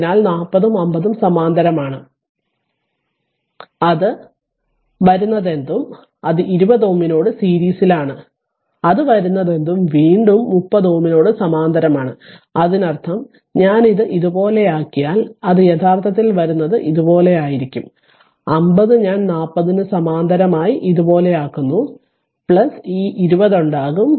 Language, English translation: Malayalam, So, 40 and 50 in parallel right whatever it will come with that 20 ohm is in series whatever it will come with that again 30 are in parallel to this; that means, if i make it like this, it will be actually whatever it comes 50 i making like this parallel to 40 right whatever it is plus this 20 will come making on it only plus 20 will come